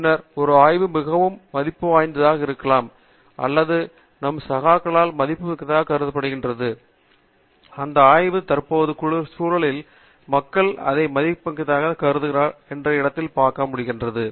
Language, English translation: Tamil, And then, very often a study is valuable or seen as valuable by our peers when we are able to place that study in a current context, where people look at it as valuables